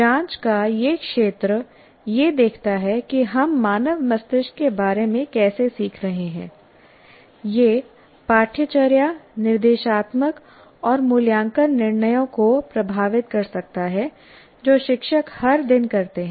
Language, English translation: Hindi, This field of inquiry looks at how we are learning about the human brain can affect the curricular, instructional and assessment decisions that teachers make every day